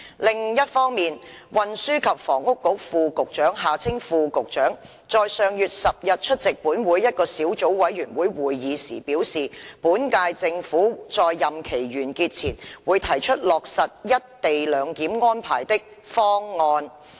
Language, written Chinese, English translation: Cantonese, 另一方面，運輸及房屋局副局長在上月10日出席本會一個小組委員會會議時表示，本屆政府在任期完結前會提出落實一地兩檢安排的"方案"。, On the other hand the Under Secretary for Transport and Housing USTH when attending a subcommittee meeting of this Council held on the 10 of last month advised that the current - term Government would put forward a proposal for implementing the co - location arrangements before the end of its term